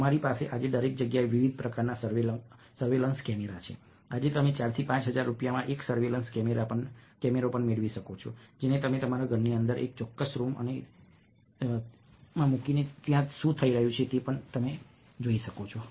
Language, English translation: Gujarati, today you can even get a surveillance camera, ah, for four to five thousand rupees, which you can plays inside your home to watch may be a specific room and what is happening there